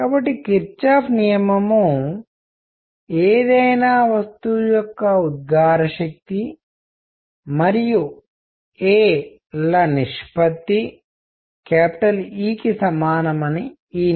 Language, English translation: Telugu, So, Kirchhoff’s rule; law says that emissive power of any body divided by a is equal to E